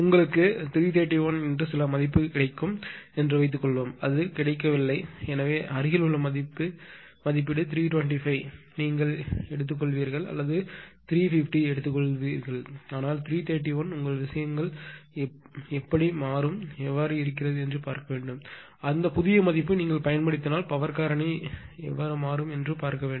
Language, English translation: Tamil, Suppose you have got some value say 331 , but this is not available, so nearest rating will be either 325 you take or 330 you take, but 331 cannot accordingly you have to see how your things are and if you use that new side you find out what is the power factor, right